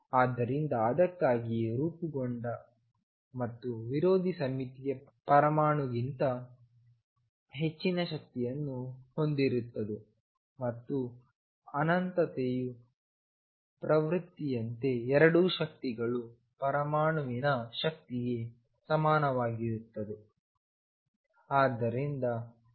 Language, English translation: Kannada, So, that that is why molecules that formed and anti symmetric psi has energy greater than the atom and as a tends to infinity both energies become equal to that of the atom